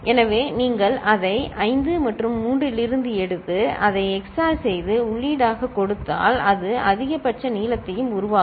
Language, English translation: Tamil, So, if you take it from 5 and 3, XOR it and feed it as input, that will also generate maximal length